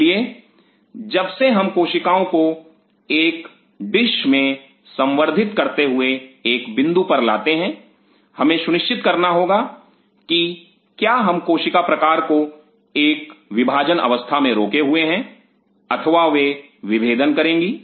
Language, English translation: Hindi, So, since that brings us to a point while we are culturing cells in a dish we have to make a call are we holding the cell type on a dividing phase or they will be differentiated